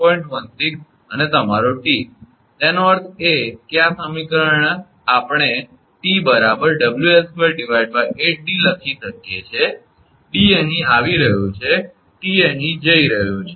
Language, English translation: Gujarati, 16 and your T; that means, this equation we can write T is equal to WL square upon 8d; d is coming here, T is going here